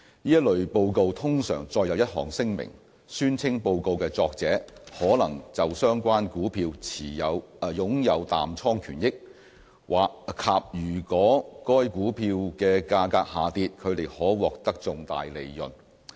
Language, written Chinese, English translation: Cantonese, 這類報告通常載有一項聲明，宣稱報告的作者可能就相關股票擁有淡倉權益，以及如果該股票的價格下跌，他們可獲得重大利潤。, There is usually a statement in this kind of report declaring that the authors of the report may have a short interest in the relevant stock and stand to realize significant gains if the price of the stock declines